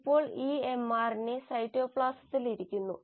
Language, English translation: Malayalam, And now this mRNA is sitting in the cytoplasm